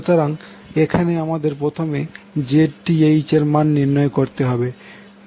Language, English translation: Bengali, So here, first we will find the value of Zth